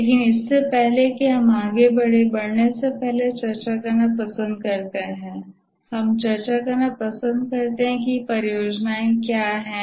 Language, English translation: Hindi, But before that, we like to discuss, before proceeding further, we like to discuss what are projects